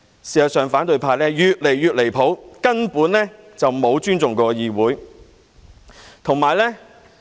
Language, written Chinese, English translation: Cantonese, 事實上，反對派越來越離譜，根本沒有尊重議會。, In fact the opposition camp is getting more outrageous showing no respect for the legislature at all